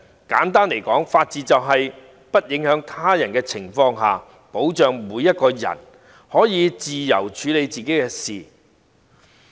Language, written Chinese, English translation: Cantonese, 簡單來說，法治就是在不影響他人的情況下，保障每個人可以自由處理自己的事情。, To put it simply the rule of law is a safeguard to ensure that everyone has the freedom to deal with hisher own matters without causing any negative impact on others